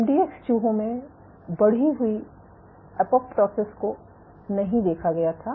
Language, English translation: Hindi, So, increased apoptosis was not seen in MDX mice